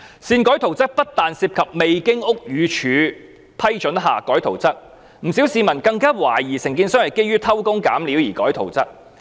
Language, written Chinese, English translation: Cantonese, 擅改圖則不單涉及未經屋宇署批准而更改圖則，不少市民更懷疑承建商是基於偷工減料而擅改圖則。, The alteration of the drawings involves not only alterations without the permission of the Buildings Department BD . Quite a lot of members of the public even suspected that the contractor had altered the drawings for the purpose of jerry - building